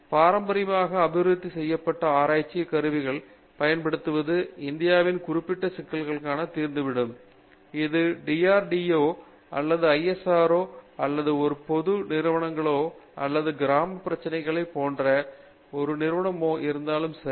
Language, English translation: Tamil, Using the traditionally developed research tools there are lot of India’s specific problems that can be solved, whether it is an organization like DRDO or an ISRO or any of the public sector undertakings or our rural problems